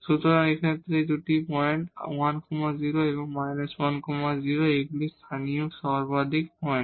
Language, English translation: Bengali, So, in this case these 2 points plus 1 0 and minus 1 0 these are the points of local maximum